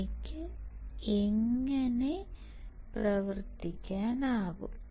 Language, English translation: Malayalam, How can I operate